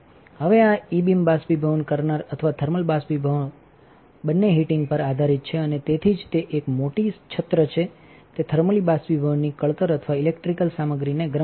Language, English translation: Gujarati, Now, this E beam evaporator or thermal evaporator both are based on the heating and that is why it is a bigger umbrella is thermally the thermally evaporating or electrically heating the material